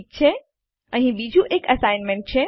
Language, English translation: Gujarati, Okay, here is another assignment